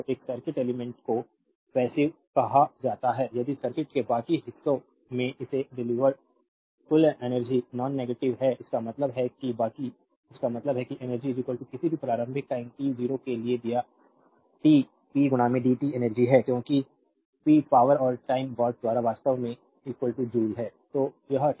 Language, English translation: Hindi, So, a circuit element is said to be passive, if the total energy delivered to it from the rest of the circuit is nonnegative; that means, that the rest; that means, that suppose energy is equal to given for any initial time t 0 to t p into dt is energy because p is power and time watt second actually is equal to joule